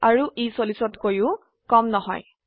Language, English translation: Assamese, And it also not less than 40